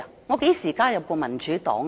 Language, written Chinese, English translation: Cantonese, 我何時加入過民主黨？, When have I joined the Democratic Party?